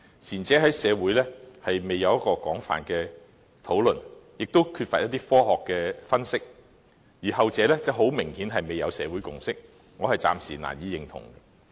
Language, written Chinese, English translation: Cantonese, 前者在社會未經廣泛討論，亦缺乏科學的分析；而後者很明顯未取得社會共識，我暫時難以認同。, The former has not been widely discussed in society and is not supported by scientific analysis . The latter obviously has yet to garner a consensus in the community and I cannot give my support to it for the time being